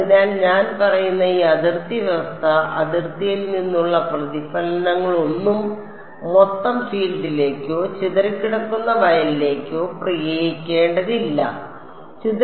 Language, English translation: Malayalam, So, this boundary condition that I am saying that, no reflection from the boundary it should be applied to the total field or the scattered field